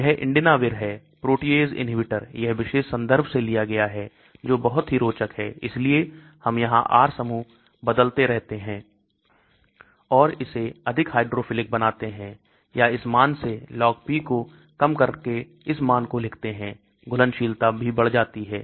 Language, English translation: Hindi, This is Indinavir, protease inhibitor, this is taken from this particular reference which is very interesting so as we keep changing R group here and make it more hydrophilic or reduce the Log P from this value to write down to this value, the solubility also increases as you can see from 0